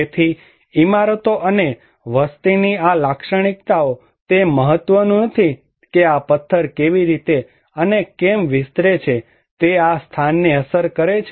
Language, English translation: Gujarati, So, these characteristics of the buildings and population, they do matter, that how and what extents this stone can actually affect this place